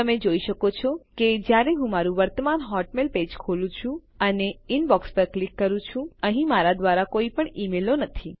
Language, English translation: Gujarati, You can see when I open up my current hotmail page and click on Inbox, there are no emails here from me